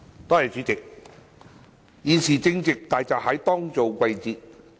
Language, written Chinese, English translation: Cantonese, 代理主席，現時正值大閘蟹當造季節。, Deputy President hairy crabs are now in season